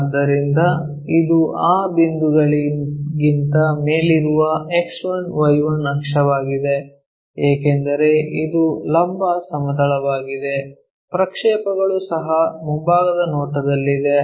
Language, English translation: Kannada, So, this is the X1Y1 axis above that point because it is a vertical plane, projection also front view